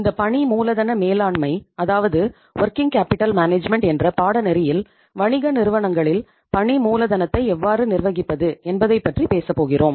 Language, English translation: Tamil, So in this course that is on Working Capital Management we will be talking about that how to manage the working capital in the business organizations